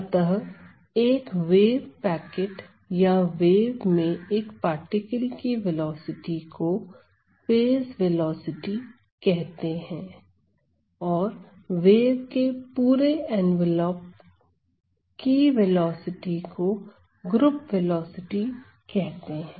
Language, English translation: Hindi, So, the velocity of 1 wave packet or 1 particle within that wave is the phase velocity and the velocity of the entire envelope of these waves is the group velocity, ok